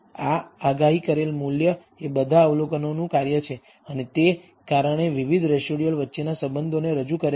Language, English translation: Gujarati, This predicted value is a function of all the observations, and that because of that it introduces a correlations between the different residuals